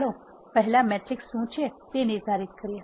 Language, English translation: Gujarati, Let us first define what matrices are